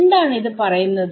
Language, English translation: Malayalam, So, what is it saying